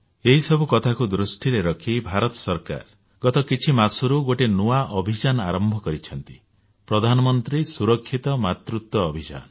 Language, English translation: Odia, Keeping in view these issues, in the last few months, the Government of India has launched a new campaign 'Prime Minister Safe Motherhood Campaign'